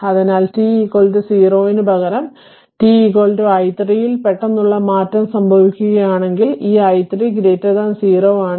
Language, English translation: Malayalam, So, instead of t is equal to 0 if the sudden change occurs at t is equal to t 0 that is t 0 greater than 0 right